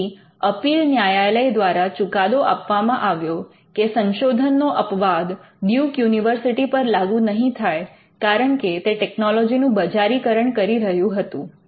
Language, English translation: Gujarati, So, the appellate court held that the research exception would not be open to Duke University because, of the fact that it commercializes the technology